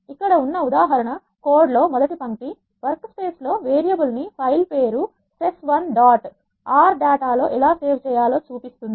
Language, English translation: Telugu, Here is an example code the first line here shows how to save a variable that is there in the workspace into a file name sess1 dot R data